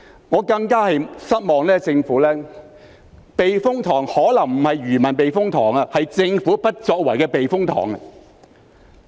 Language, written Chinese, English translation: Cantonese, 我對政府感到更失望的是，避風塘可能不是漁民的避風塘，而是政府不作為的避風塘。, What I find even more disappointing about the Government is that the typhoon shelter probably is not for the fishermen to take shelter but rather a typhoon shelter for the Governments inaction